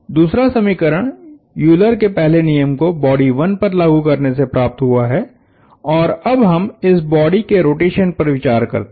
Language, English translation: Hindi, The second one is coming from Euler’s first law applied to body 1 and now, we look at the rotation of this body